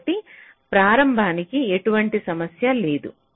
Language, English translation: Telugu, so for the onset there is no problem